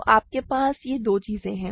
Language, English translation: Hindi, So, you have these two things